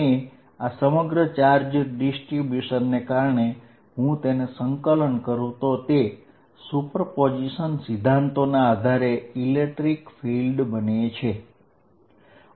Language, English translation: Gujarati, And due to this entire charge distribution, I just integrated all, this becomes the electric field by principle of super position